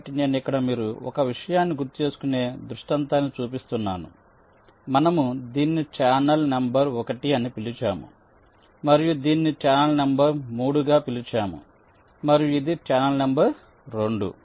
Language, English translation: Telugu, so i am just showing the scenario where you recall this we are, we have called as in channel number one and this we have called as channel number three and this was channel number two